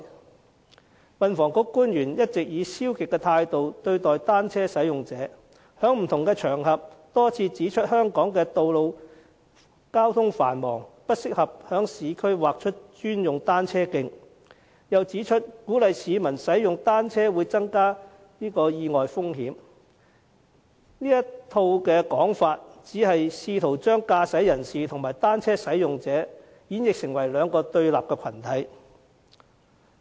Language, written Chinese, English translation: Cantonese, 運輸及房屋局官員一直以消極的態度對待單車使用者，在不同場合上多次指出，香港的道路交通繁忙，不適合在市區劃出專用單車徑，又指出鼓勵市民使用單車會增加意外風險，這套說法只是試圖將駕駛人士和單車使用者演繹成為兩個對立的群體。, Government officials from the Transport and Housing Bureau have all along adopted a passive attitude towards cyclists . They have pointed out repeatedly on various occasions that road traffic in Hong Kong is busy and thus it is inappropriate to designate bicycle - only lanes in the urban areas and that encouraging the public to ride bicycles will increase the risk of accidents . Their remarks are trying to present drivers and cyclists as two opposing groups